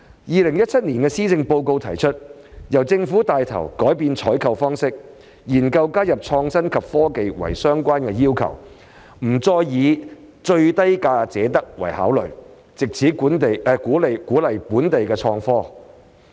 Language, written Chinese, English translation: Cantonese, 2017年的施政報告提出："由政府帶頭改變採購方法，研究加入創新及科技為相關要求，不單以價低者得為考慮，藉此鼓勵本地科技創新。, In the 2017 Policy Address it was proposed that Government to lead changes to procurement arrangements . We will explore the inclusion of innovation and technology as a tender requirement and will not award contract only by reference to the lowest bid so as to encourage local technological innovation